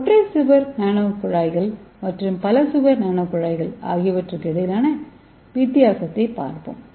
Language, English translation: Tamil, So let us see the difference between the single wall carbon nano tubes and multi wall carbon nano tubes